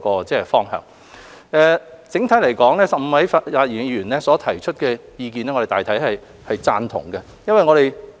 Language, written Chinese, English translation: Cantonese, 整體來說 ，15 位發言議員所提出的意見，我們大致贊同。, On the whole we generally agree to the views expressed by the 15 Members who have spoken